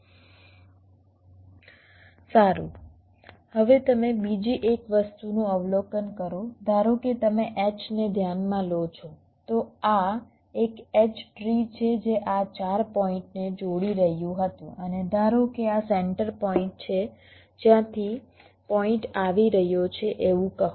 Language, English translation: Gujarati, suppose you consider an h, so this an h tree, which was connecting these four points, and suppose this is the central point